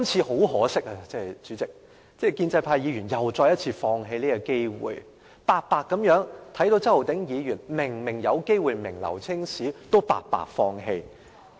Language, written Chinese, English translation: Cantonese, 可惜，建制派議員再次放棄這個機會，明明看到周浩鼎議員有機會名留青史，也白白放棄。, Unfortunately pro - establishment Members have once again given up this chance and let the chance of allowing Mr Holden CHOW to go down in history slip by